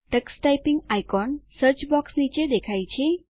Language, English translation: Gujarati, The Tux Typing icon appears beneath the Search box